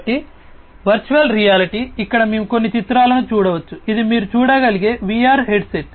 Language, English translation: Telugu, So, virtual reality, you know, here we can see few pictures, this is a VR headset that you can see